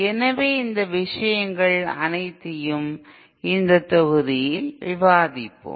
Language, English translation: Tamil, So all those things we shall discuss in this module